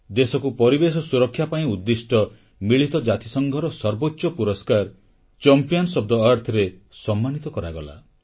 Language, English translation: Odia, The highest United Nations Environment Award 'Champions of the Earth' was conferred upon India